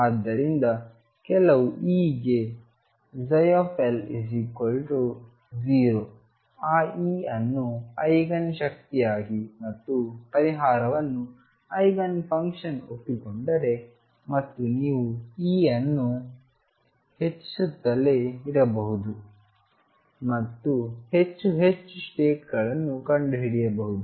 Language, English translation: Kannada, So, if psi L is equal to 0 for some E accept that E as the Eigen energy and the solution psi as Eigen function and then you can keep increasing E and find more and more and more states